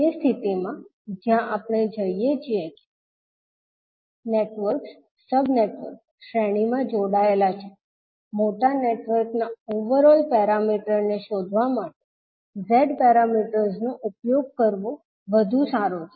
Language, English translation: Gujarati, So in that case where we see that the networks, sub networks are connected in series, it is better to utilise the Z parameters to find out the overall parameter of the larger network